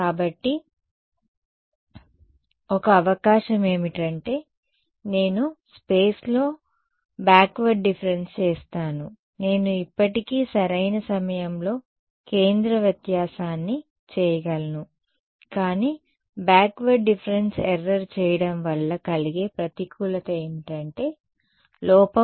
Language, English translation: Telugu, So, one possibility is I do a backward difference in space I can still do centre difference in time right, but what is the disadvantage of doing a backward difference error is error increases